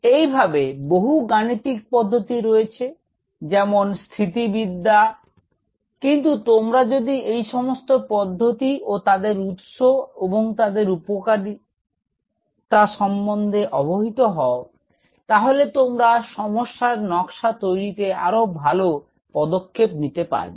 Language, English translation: Bengali, Similarly, several mathematical tools similarly like statics there are these are tools, but if you know the tools and the origin of the tools and the power of the tools, it will help you to become much wiser in designing our problem